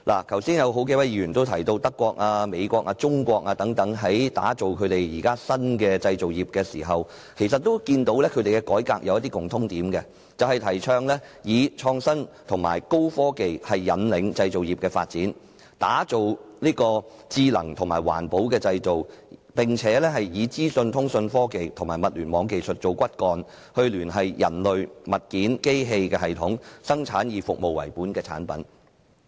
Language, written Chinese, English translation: Cantonese, 剛才有數位議員都提到，德國、美國、中國等國家現正打造新的製造業，而它們的改革其實有一些共通點：提倡以創新及高科技引領製造業發展，打造智能和環保的製造，並以資訊、通訊科技和物聯網技術為骨幹，聯繫人類、物件和機器，生產以服務為本的產品。, Just now several Members have mentioned that countries such as Germany the United States and China are developing new manufacturing industries and their reforms actually have something in common They advocate driving the development of the manufacturing industries by innovation and high technologies creating smart and green manufacturing and producing service - oriented products with information communication technology and Internet of Things technology as the backbone connecting human beings objects and machines